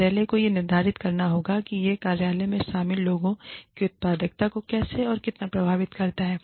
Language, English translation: Hindi, The office has to determine, how, and how much this impacts the office, the productivity of the people involved